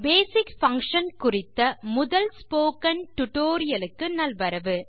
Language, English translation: Tamil, Welcome to the Spoken Tutorial on the Basic Function